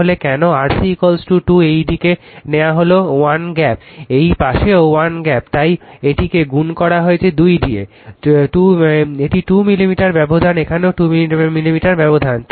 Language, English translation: Bengali, So, why R C is equal to 2 is taken this side 1 gap, this side also 1 gap, that is why it is multiplied by 2 into right this is 2 millimeter gap here also 2 millimeter gap